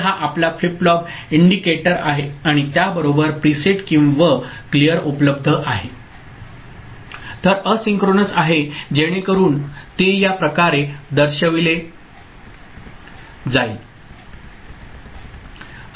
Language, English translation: Marathi, So, this is your flip flop indicator and with it there is a preset and clear available ok, then asynchronous so it will be indicated in this manner